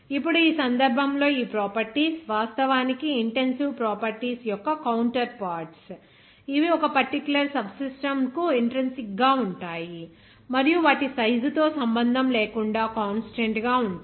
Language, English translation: Telugu, Now, in this case, these properties are actually counterparts of intensive properties that are intrinsic to a particular subsystem and remain constant regardless of their size